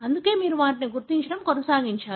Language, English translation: Telugu, So, that is why you have gone on to identify them